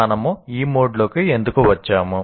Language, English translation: Telugu, And why did we get into this mode